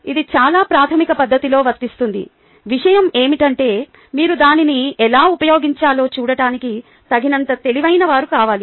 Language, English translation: Telugu, no, it is applicable in a very fundamental fashion across only thing is that you need to be wise enough to see how to apply it